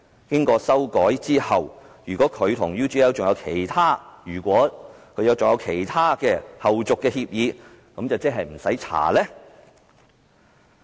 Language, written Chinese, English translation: Cantonese, 經過修改後，如果他和 UGL 還有其他的後續協議，是否便不用調查？, After the amendment if there are other subsequent agreements between him and UGL will they not be included in the inquiry?